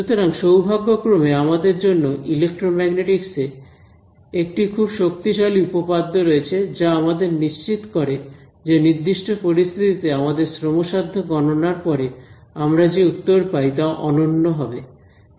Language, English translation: Bengali, So, thankfully for us there is a very powerful theorem in electromagnetics which guarantees us, that under certain conditions the answer that we get after our laborious calculations will be unique